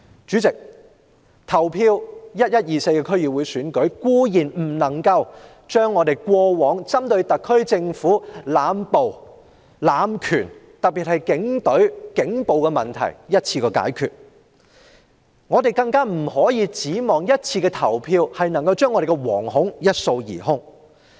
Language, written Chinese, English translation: Cantonese, 主席 ，11 月24日的區議會選舉，固然不能一次過解決特區政府濫捕濫權的問題，尤其是警隊的警暴問題，我們亦不能奢望一次的投票能將我們的惶恐一掃而空。, President obviously the DC Election on 24 November is not a one - off solution to the SAR Governments indiscriminate arrest and power abuse not to mention Police brutality . Neither should we have a false hope that the Election will clear our fear